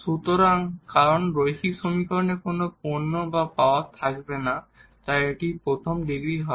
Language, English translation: Bengali, So, because in linear equation there will no product or no power, so it will be first degree